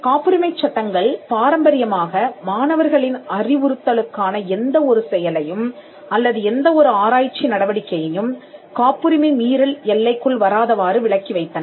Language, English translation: Tamil, Patent laws traditionally excluded any activity which was for instruction of their students or any research activity from the ambit of a patent infringement